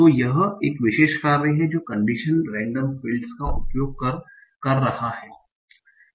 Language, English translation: Hindi, So that we have to think about condition random fields